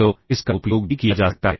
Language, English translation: Hindi, So, that is another so it can also be used